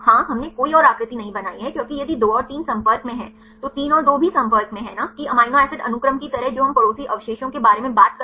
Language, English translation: Hindi, Yeah we did not draw another shape because if 2 and 3 are in contacts, then 3 and 2 are also in contact right not like the amino acid sequence that is we talk about the neighboring residues